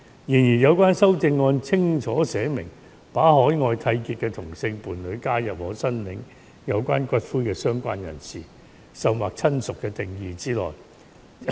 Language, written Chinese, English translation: Cantonese, 然而，有關修正案清楚寫明，把海外締結的同性伴侶加入可申領有關骨灰的"相關人士"，甚或"親屬"的定義之內。, Nevertheless the amendments clearly stated that the other party of the same sex in a civil union with the deceased that entered into outside Hong Kong would be covered in the definitions of the related person or even relative who would be entitled to collect the cremains of the deceased